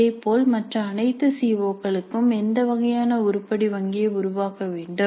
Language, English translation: Tamil, Similarly for all the other COs what kind of item bank needs to be created